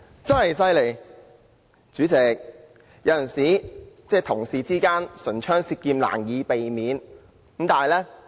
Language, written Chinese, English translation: Cantonese, 代理主席，有時候同事之間難免會唇槍舌劍。, Deputy President it is inevitable that colleagues may sometimes engage in heated debates